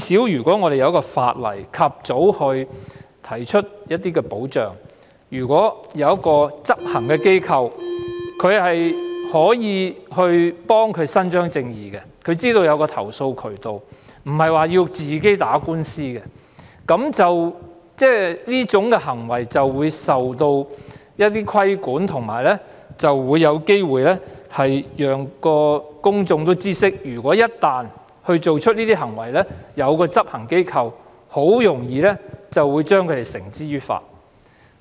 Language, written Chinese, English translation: Cantonese, 如果香港有法例及早提供一些保障，例如有執行機構可以為事主伸張正義，她們便知道有投訴渠道，並非要自行打官司，這些騷擾行為便會受到規管，並且有機會讓公眾知悉，一旦有人做出這些行為便有執行機構處理，非常容易將他們繩之於法。, If the laws of Hong Kong can provide some sort of timely protection for these residents such as establishing an enforcement agent to uphold justice they will know that there are channels to lodge complaints and they need not institute legal proceedings on their own . Moreover acts of harassment will be regulated and the public will be aware that there is a law enforcement agency to bring people who have committed such acts to justice